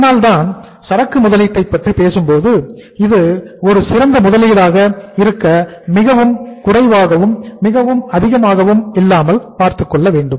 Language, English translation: Tamil, That is why we talk about investment in the inventory which is the optimum investment not too less not too high